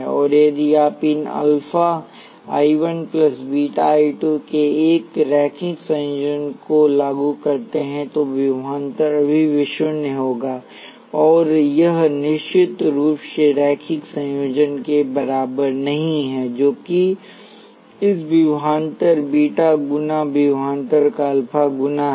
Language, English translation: Hindi, And if you apply a linear combination of these alpha I 1 plus beta times I 2 the voltage would still be V naught and this is certainly not equal to the linear combination that is a alpha times this voltage plus beta times that voltage